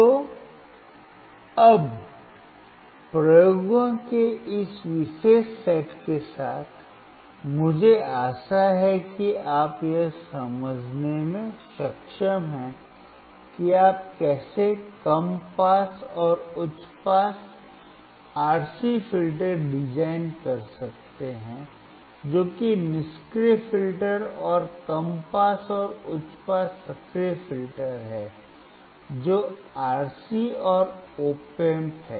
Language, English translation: Hindi, So now with this particular set of experiments, I hope that you are able to understand how you can design a low pass and high pass RC filters that is passive filters, and low pass and high pass active filters that is RC and op amp